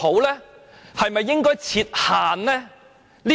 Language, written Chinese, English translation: Cantonese, 還是應該設限呢？, Or shall we set a limit?